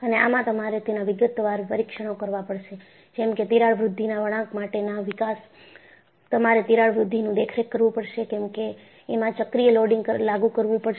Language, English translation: Gujarati, And, you have to perform detailed tests, where in you develop crack growth curves, by monitoring a growth of the crack, as a cyclical loading is applied